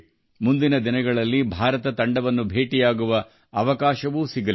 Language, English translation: Kannada, In the coming days, I will also get an opportunity to meet the Indian team